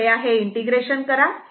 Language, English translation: Marathi, You please do this integration